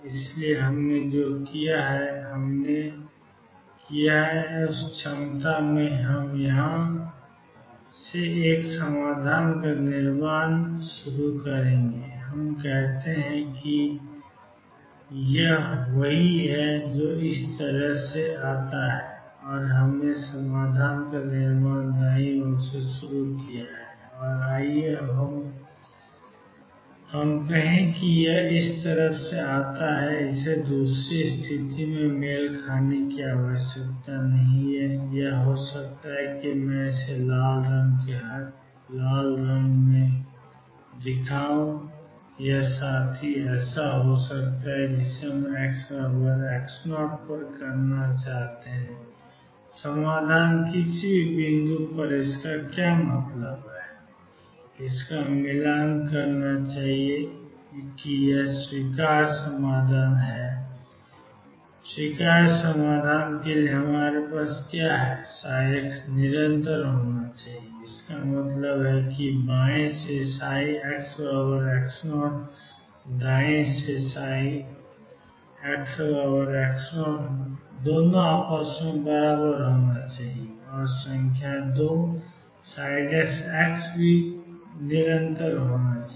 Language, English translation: Hindi, So, what I have we done what we have done is in this potential, we will started a building up a solution from here, let us say this is what comes out from this side and we started building up the solution from the right side and let us say this comes out like this it need not match the other situation could be that let me show it in red this fellow could be like this what we should do is at x equals x naught the solution should match what does that mean at any point what do we have for the acceptable solution psi x is continuous; that means, psi x equals x 0 from left should be equal to psi x equals x 0 from right and number 2 psi prime x is continuous